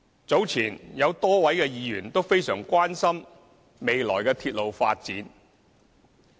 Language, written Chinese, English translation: Cantonese, 早前，有多位議員均非常關心未來鐵路發展。, A number of Members have expressed deep concerns earlier about the future railway development of Hong Kong